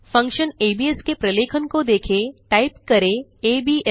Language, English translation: Hindi, Let us see the documentation of the function abs, type abs